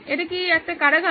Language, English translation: Bengali, This is a prison